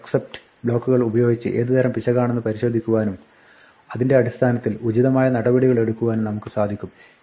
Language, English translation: Malayalam, Using a try and except block, we can check the type of error and take appropriate action based on the type